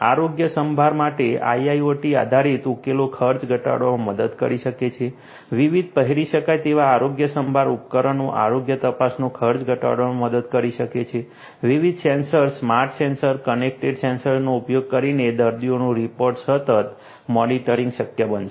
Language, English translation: Gujarati, IIoT based solutions for health care can help in reducing the expenditure; different wearable health care devices can help in reducing the cost of health checkup; remote continuous monitoring of patients using different sensors, smart sensors, connected sensors would be made possible